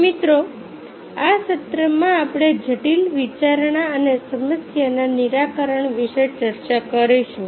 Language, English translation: Gujarati, so, friends, in this session will be discussing about critical thinking and problems solving